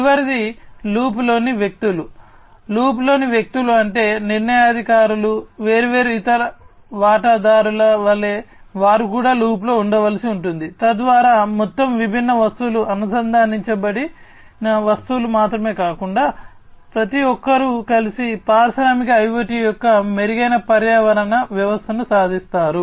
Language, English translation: Telugu, People in the loop means, like decision makers, different other stakeholders, they will be also have to be kept in loop, so that overall not only these different objects, the connected objects, but everybody together will be achieving the improved ecosystem of industrial IoT